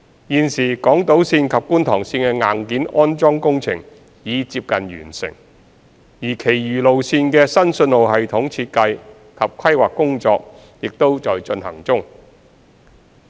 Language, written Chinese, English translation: Cantonese, 現時港島綫及觀塘綫的硬件安裝工程已接近完成，而其餘路線的新信號系統設計及規劃工作也在進行中。, Currently the hardware installation works for Island Line and Kwun Tong Line are almost completed and the design of the new signalling system and related planning works for the remaining lines are also in progress